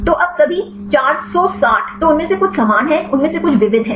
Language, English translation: Hindi, So, now all the 460 then some of them are similar, some of them are diverse